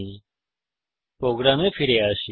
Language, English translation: Bengali, Now let us come back to our program